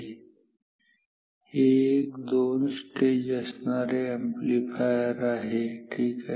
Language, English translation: Marathi, So, this is what a two stage amplifier is